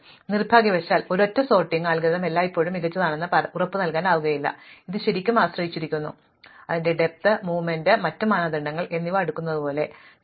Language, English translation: Malayalam, So, unfortunately it turns out that no single sorting algorithm is always guaranteed to be the best, it really depends as, we said like sorting depth, the movement and other criteria